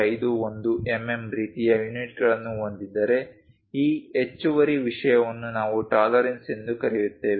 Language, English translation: Kannada, 51 mm kind of units this extra thing what we call tolerances